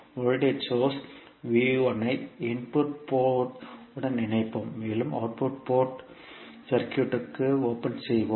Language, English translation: Tamil, We will connect the voltage source V1 to the input port and we will open circuit the output port